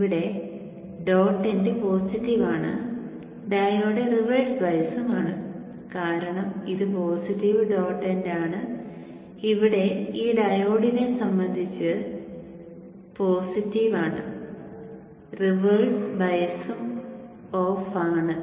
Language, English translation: Malayalam, The dot end is positive here and the diode is reversed biased because this is positive dot end here is positive with respect to this, diode is reversed and off